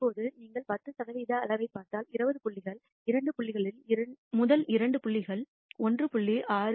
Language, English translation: Tamil, Now if you look at the 10 percent quantile, I can say that out of 20 points two points rst two points fall below 1